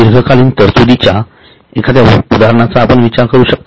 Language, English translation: Marathi, Can you think of any example of any provision which is long term in nature